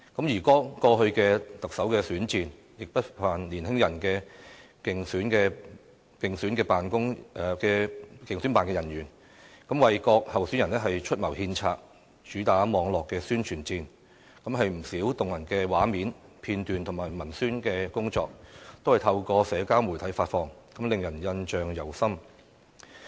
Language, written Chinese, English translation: Cantonese, 而剛過去的特首選戰，亦不乏年輕的競選辦人員，為各候選人出謀獻策，主打網絡宣傳戰，不少動人畫面、片段和文宣工作，均是透過社交媒體發放，令人印象猶深。, In the recent Chief Executive Election the campaign offices of the candidates were no lack of young members . Focusing on the cyber publicity war they mapped out strategies and created many touching scenes episodes and publicity work in the social media . It is really impressive